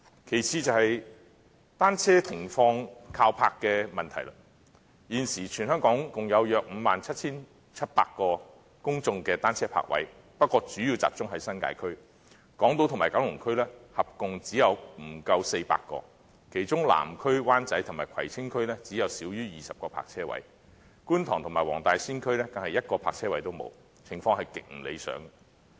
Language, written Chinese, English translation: Cantonese, 其次是單車停泊的問題。現時全香港共有約 57,700 個公眾單車泊位，但主要集中在新界區，而港島區和九龍區合共只有不足400個，其中南區、灣仔及葵青區只有少於20個泊車位，觀塘及黃大仙區更是一個泊車位也沒有，情況極不理想。, Secondly insofar as the bicycle parking problem is concerned there are approximately 57 700 public bicycle parking spaces in Hong Kong but they are mainly concentrated in the New Territories with less than 400 parking spaces situated on Hong Kong Island and in Kowloon . Moreover less than 20 of these parking spaces are situated in the Southern Wan Chai and Kwai Tsing Districts and none in the Kwun Tong and Wong Tai Sin Districts